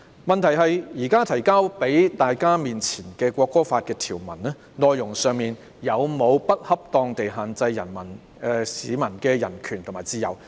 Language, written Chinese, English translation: Cantonese, 問題是，現時提交的《條例草案》條文，內容有沒有不恰當地限制市民的人權和自由？, The question is whether the provisions in the Bill currently submitted have improperly restricted peoples rights and freedom